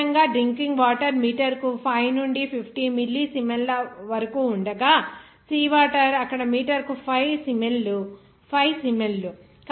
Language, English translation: Telugu, Typically, drinking water in the range of 5 to 50 millisiemens per meter while seawater about 5 siemens per meter there